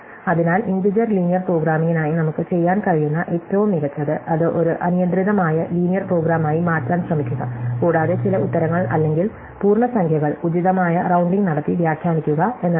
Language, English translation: Malayalam, So, the best we can hope to do for integer linear programming is to actually try and turn it into an arbitrary linear program and somehow interpret the answers as integers by doing appropriate rounding